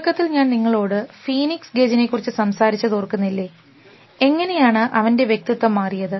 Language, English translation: Malayalam, You remember, I talked to you about Phoenix Gage in the initially, how his personality changed